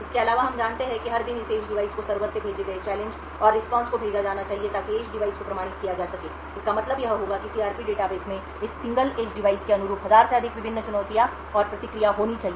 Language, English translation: Hindi, Further, we assume that every day there should be challenged and response sent from the server to this edge device so as to authenticate the edge device, this would mean that the CRP database should have over thousand different challenges and response corresponding to this single edge device